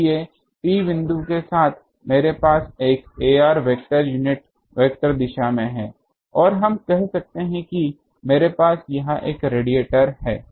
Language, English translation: Hindi, So, along point P I have an ar vector unit vector from these direction and let us say that I have a radiator here